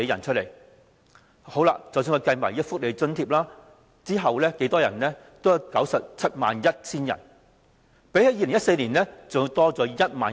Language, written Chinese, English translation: Cantonese, 而即使我們計算各種福利補助，貧窮人口亦有 971,000 人，比起2014年多約1萬人。, Even when welfare subsidy was factored in the poverty population still stood at 971 000 about 10 000 higher than the 2014 figure